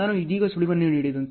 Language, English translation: Kannada, As I given the hint right now